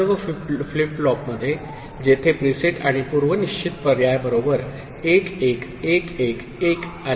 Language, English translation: Marathi, All the flip flops where preset and it was initialised with 1 1 1 1